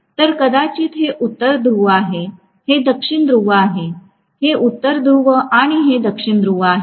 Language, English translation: Marathi, So maybe this is North Pole, this is South Pole, this is North Pole and this is South Pole